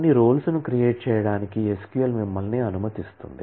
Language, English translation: Telugu, The SQL also allows you to create certain roles